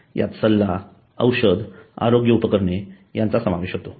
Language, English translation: Marathi, It covers consultation, medicine and health equipment